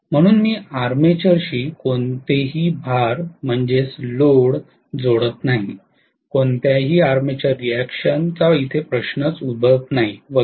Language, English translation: Marathi, So I am not connecting any load to the armature, there is no question of any armature reaction and so on and so forth